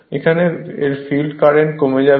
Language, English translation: Bengali, First, you find the field current